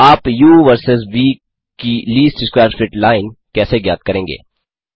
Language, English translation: Hindi, How do you find the least square fit line of u versus v